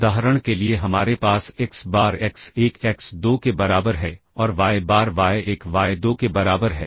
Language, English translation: Hindi, We have xBar equals x1 x2 and yBar equals y1 y2